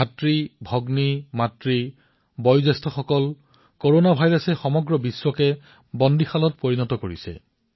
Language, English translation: Assamese, Brothers, Sisters, Mothers and the elderly, Corona virus has incarcerated the world